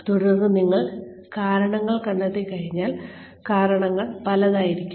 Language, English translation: Malayalam, And then, once you have found out the reasons, the reasons could be several